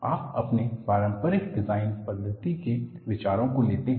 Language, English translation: Hindi, So, you borrow the ideas from your conventional design methodology